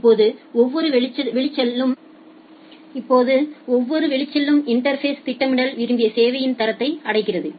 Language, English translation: Tamil, Now for each outgoing interface, the scheduler achieves the desired quality of service